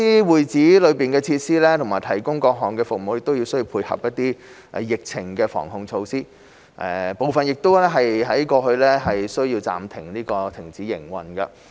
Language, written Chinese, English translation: Cantonese, 會址內的設施和提供的各類服務，亦需要配合疫情防控措施，部分過去需要暫時停止營運。, The facilities and the services provided within club - houses also needed to tie in with the epidemic prevention and control measures; and some of them were even required to suspend operation in the past